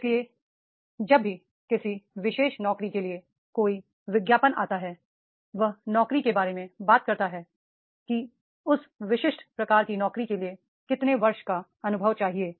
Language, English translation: Hindi, So whenever there is an advertisement for a particular job, then that job talks about that is this much years of the experience in a particular nature of job